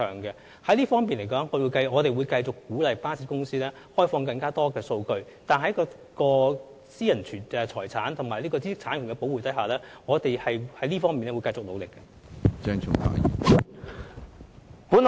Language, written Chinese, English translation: Cantonese, 在這方面，我們會繼續鼓勵巴士公司開放更多數據，並在保護私人財產和知識產權的規定下，繼續作出努力。, In this connection we will continue to encourage bus companies to open up more information and keep up our efforts while giving due regard to the requirements of protecting private property and intellectual property rights